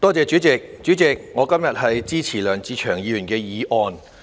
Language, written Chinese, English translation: Cantonese, 代理主席，我今天支持梁志祥議員的議案。, Deputy President today I support Mr LEUNG Che - cheungs motion